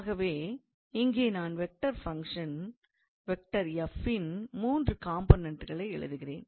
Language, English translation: Tamil, So, here I was supposed to write three components of the vector function f